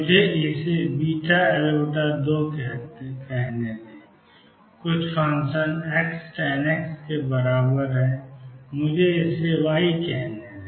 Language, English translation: Hindi, Let me call this beta L by 2 sum function x tangent of x equals let me call this y